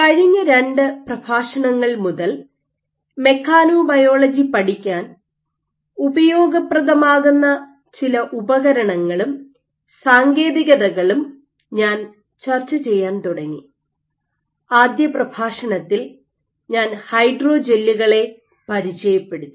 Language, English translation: Malayalam, So, since the last two lectures I have started discussing of some of the tools and techniques that are useful for studying mechanobiology and in the first lecture I introduced about hydrogels